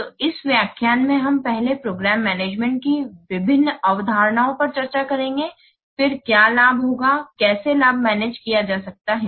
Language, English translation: Hindi, So in this lecture we will discuss first the various concepts of program management, then what is benefit, how benefits can be managed